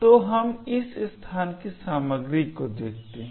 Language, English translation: Hindi, So, let us actually look at the contents of this location